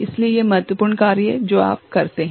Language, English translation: Hindi, So, these are important thing that you perform